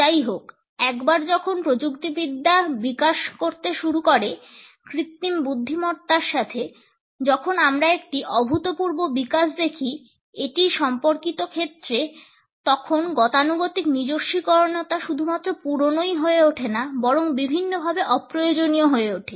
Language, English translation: Bengali, However, once the technology started to develop and with the presence of artificial intelligence, when we are looking at an unprecedented development in related fields this conventional personalization has become not only obsolete, but also in many ways redundant